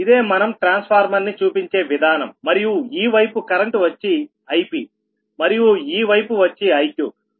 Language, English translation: Telugu, so this is a transformer representation and this side current is goings ip and this side it is iq